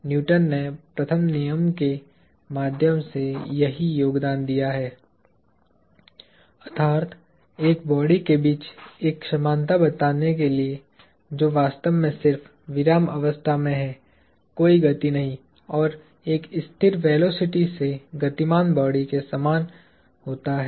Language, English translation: Hindi, This is the contribution that Newton made through the first law; that is, to state an equivalence between a body that is actually just sitting at rest – no motion – and a body that is moving at a constant velocity are the same